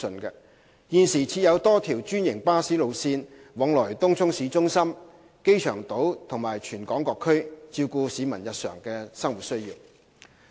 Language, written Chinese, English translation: Cantonese, 現時設有多條專營巴士路線往來東涌市中心、機場島及全港各區，照顧市民日常的生活需要。, There are a number of franchised bus routes to and from Tung Chung City Centre Airport Island and all districts in Hong Kong to cater for the daily needs of the public